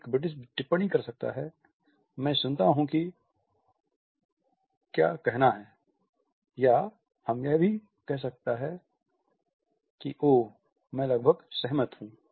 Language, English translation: Hindi, A British may comment “I hear what to say” or may also say “oh I almost agree”